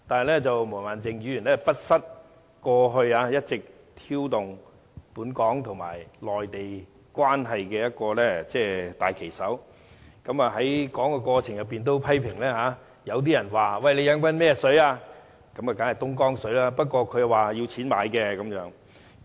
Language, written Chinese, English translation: Cantonese, 不過，毛孟靜議員不失為過去一直挑動本港和內地關係的大旗手，她在發言時也批評說，有人問你喝的是甚麼水，當然是東江水，不過他說要用錢買的。, However Ms Claudia MO has always been a key person in provoking tension in the relationship between Hong Kong and the Mainland . She complained in her speech that someone challenged her and asked her what kind of water she was drinking . Surely it was Dongjiang water but she said she had to pay for it